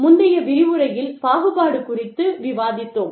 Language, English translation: Tamil, We discussed discrimination, in a previous lecture